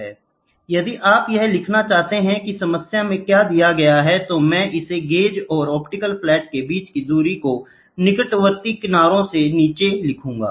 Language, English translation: Hindi, If you want to write down what is given in the problem, I will write it down the distance between the gauge and the optical flat changes by between adjacent fringes